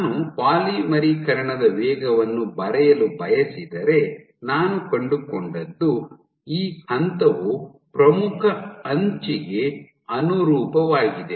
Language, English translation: Kannada, So, if I want to draw the polymerization rate, so, what I find is, this point corresponds to the leading edge